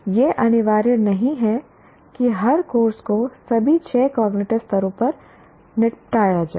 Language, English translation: Hindi, It is not mandatory that every course needs to be dealt with a dealt at all the six cognitive levels